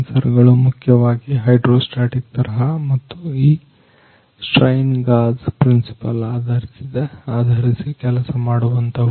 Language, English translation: Kannada, Sensors are installs a basically hydro hydrostatic types and working on this strain gauge principles